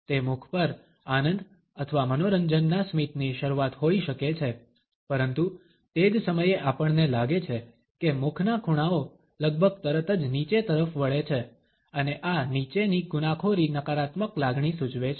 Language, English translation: Gujarati, It may be the beginning of a smile of pleasure or amusement on mouth, but at the same time we find that corners of the mouth are turned downwards almost immediately and this downward incrimination indicates a negative emotion